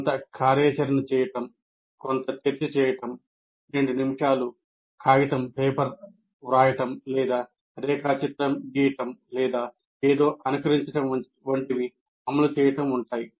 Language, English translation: Telugu, Doing some activity, doing some discussion, writing a two minute paper, or drawing a diagram, or simulating something